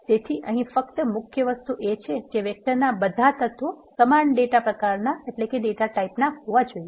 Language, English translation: Gujarati, So, only key thing here is all the elements of a vector must be of a same data type